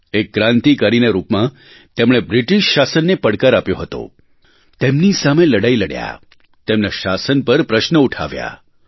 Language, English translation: Gujarati, As a revolutionary, he challenged British rule, fought against them and questioned subjugation